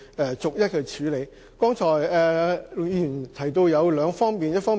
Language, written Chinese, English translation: Cantonese, 陸議員剛才提到兩方面。, Mr LUK has mentioned two aspects